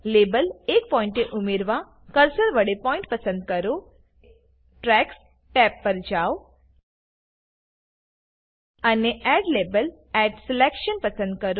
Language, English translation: Gujarati, To add a label at a point, select the point with the cursor, go to the tracks tab, and select Add label at selection